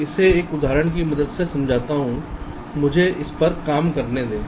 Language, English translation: Hindi, let me illustrate this with the help of an example